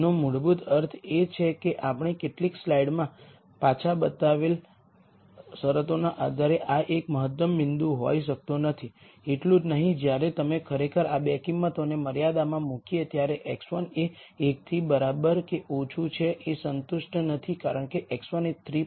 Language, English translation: Gujarati, Which basically means that this cannot be an optimum point based on the conditions we showed in a couple of slides back, not only that on top of it when you actually put these 2 values into the constraint x 1 is less than equal to 1 it is not satis ed because x 1 is 3